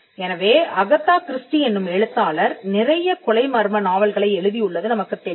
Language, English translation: Tamil, So, Agatha Christie is known to have written many murder mysteries